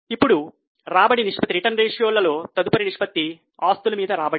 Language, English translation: Telugu, Now the next ratio in the return ratios is return on assets